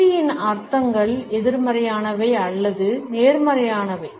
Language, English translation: Tamil, The connotations of silence can be negative or positive